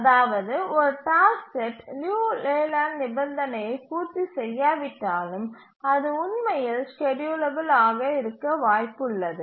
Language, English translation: Tamil, So even if a task set misses or doesn't meet the Leland criterion, still it may be possible to feasibly schedule it